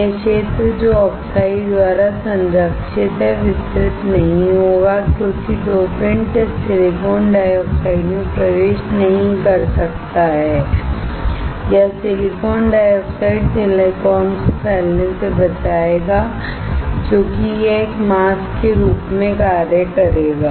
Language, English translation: Hindi, This area which is protected by the oxide will not get diffused since the dopant cannot enter this silicon dioxide or silicon dioxide will protect the silicon from getting diffused because it will act as a mask